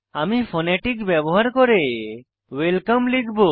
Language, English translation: Bengali, I will type welcome using phonetics